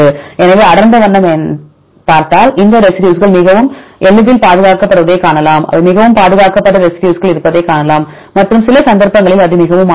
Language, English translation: Tamil, So, dark color you can see this residues are highly conserved easily if you see this picture you can see that there is residues which are highly conserved and some cases it is highly variable